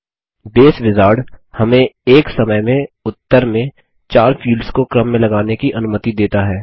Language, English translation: Hindi, The Base Wizard, allows us to sort upto 4 fields in the result list at a time